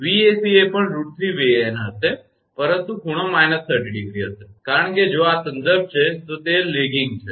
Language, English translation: Gujarati, Vac will be also root 3 Van, but angle will be minus 30 degree, because if this is reference it is lagging